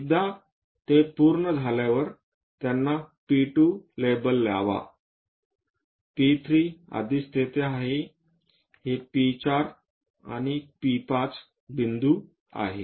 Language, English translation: Marathi, Once it is done, label them P 2, P 3 is already there, this is P 4, P 5 points